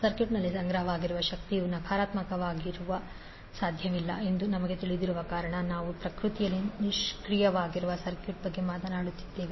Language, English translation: Kannada, The as we know the energy stored in the circuit cannot be negative because we are talking about the circuit which is passive in nature